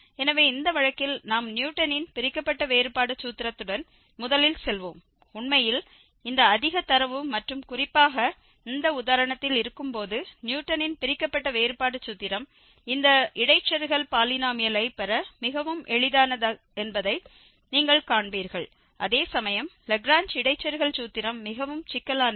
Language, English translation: Tamil, So, in this case, we will go first with the Newton's divided difference formula, and we will realize indeed, when we have this much data and in particular in this example, you will see that the Newton's divided difference formula it is much easier to derive this interpolating polynomial, whereas the Lagrange interpolating formula is much more complicated